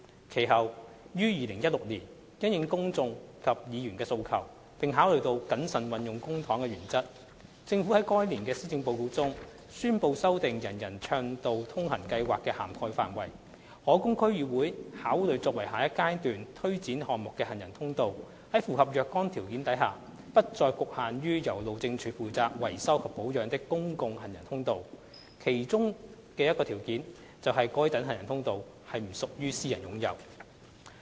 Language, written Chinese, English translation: Cantonese, 其後於2016年，因應公眾及議員的訴求，並考慮到謹慎運用公帑的原則，政府在該年的施政報告中宣布修訂"人人暢道通行"計劃的涵蓋範圍，可供區議會考慮作為下一階段推展項目的行人通道在符合若干條件下，不再局限於由路政署負責維修及保養的公共行人通道，當中的一個條件便是該等行人通道需不屬於私人擁有。, Later in 2016 in response to the aspirations of the public and Council Members and in consideration of the principle of prudent use of public funds the Government announced in the Policy Address that year to revise the ambit of the UA Programme . The walkways eligible for selection by the District Councils DCs for implementation in the next phase of the UA Programme Next Phase would no longer be confined to public walkways maintained by the Highways Department provided that they met certain criteria one of which is that the walkways are not privately owned